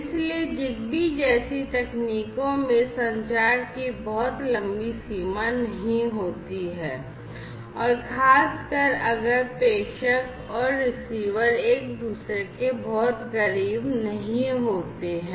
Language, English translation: Hindi, So, technologies such as ZigBee do not have too much long range of communication particularly if the sender and the receiver are not too much close to each other